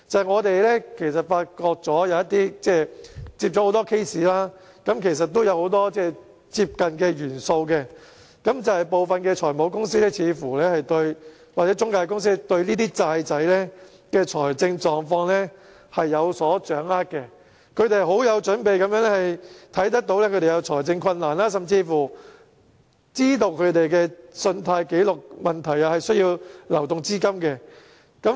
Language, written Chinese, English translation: Cantonese, 我們接到很多個案，發現有很多類近的元素，就是部分財務公司或中介公司似乎對欠債人的財政狀況有所掌握，他們很有準備地看到他們有財政困難，甚至知道他們的信貸紀錄問題，且需要流動資金。, There were many similar elements in a number of cases received by us . One of them was that finance companies or intermediaries seemed to have a good grasp of the debtors financial condition . They were well prepared to spot the debtors financial difficulties and even knew their credit records and that they needed cash flow